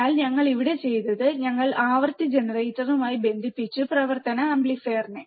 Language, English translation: Malayalam, So, what we have done here is, we have connected the frequency generator to the operational amplifier